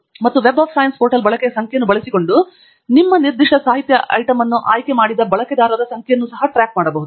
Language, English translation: Kannada, And the Web of Science portal keeps track of the number of users who have picked up your particular literature item by using the usage count